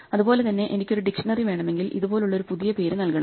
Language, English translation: Malayalam, In the same way if I want a dictionary I have to give it a completely new name like this